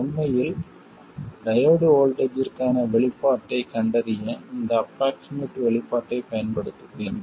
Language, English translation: Tamil, In fact, I will use this approximate expression to find the expression for the diode voltage